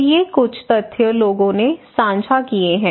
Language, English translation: Hindi, So these some of the facts people have shared